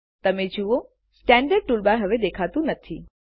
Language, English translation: Gujarati, You see the Standard toolbar is no longer visible